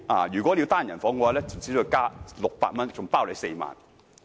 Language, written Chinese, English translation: Cantonese, 如要入住單人房，另加600元，行程共4晚。, Single rooms were available at an extra cost of 600 per person for 4 nights